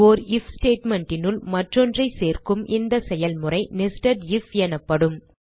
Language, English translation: Tamil, This process of including an if statement inside another, is called nested if